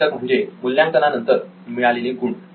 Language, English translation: Marathi, Outcome is the assessment score